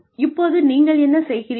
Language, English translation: Tamil, Now, what do you do